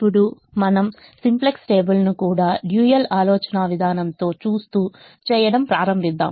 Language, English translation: Telugu, look at, looking at the simplex table, also with the dual in mind